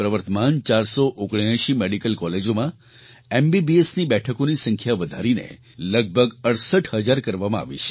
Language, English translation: Gujarati, In the present 479 medical colleges, MBBS seats have been increased to about 68 thousand